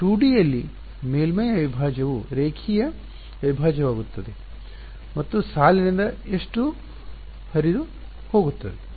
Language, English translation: Kannada, In 2D a surface integral will become a line integral and how much flux is going out of the line ok